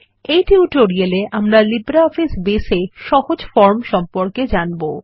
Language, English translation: Bengali, In this tutorial, we will cover Simple Forms in LibreOffice Base